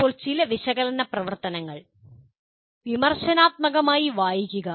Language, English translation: Malayalam, Now some of the analyze activities are reading critically